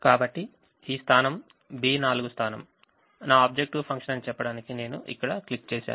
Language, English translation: Telugu, so i just click here to say that this position, b four position, is my objective function